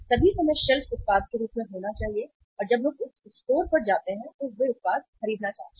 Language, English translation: Hindi, All the times shelf should be having the product as and when the people visit the store they want to buy the product